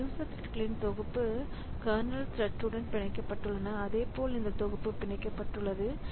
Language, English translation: Tamil, So, this set of user threads, it is bound to the kernel thread